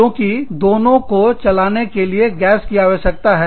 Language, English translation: Hindi, Why because, both need gas to run